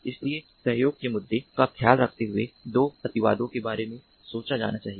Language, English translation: Hindi, so, taking care of the issue of cooperation, there are two extremities that have to be thought about